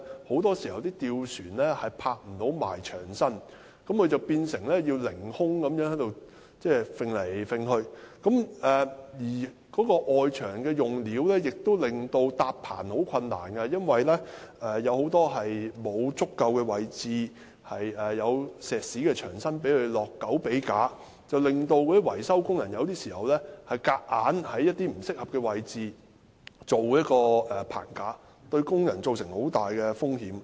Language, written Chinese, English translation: Cantonese, 況且，外牆用料亦令工人難以搭建棚架，因為大部分的外牆位置都沒有足夠的石屎牆身讓工人安裝狗臂架，以致維修工人有時候被迫在外牆不適合的位置搭建棚架，這樣對工人造成很大的風險。, As a result workers must kind of dangle in the air when working . What is more the structures of external walls also make the erection of scaffolds difficult as most positions on external walls simply do not contain any concrete sections large enough to support the installation of metal brackets . As a result maintenance workers are sometimes forced to erect scaffolds at unsuitable positions on external walls and this will plunge them into great risks